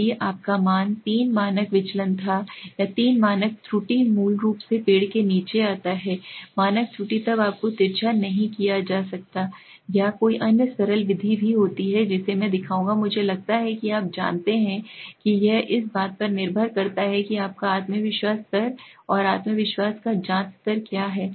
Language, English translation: Hindi, If your value falls between three standard deviation right, or three standard error basically tree standard error then you are not skewed or there is a simple other method also which I will show you I think you know it depends on what is your confidence level and confidence level you are checking